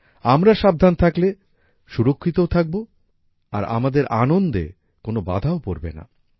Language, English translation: Bengali, If we are careful, then we will also be safe and there will be no hindrance in our enjoyment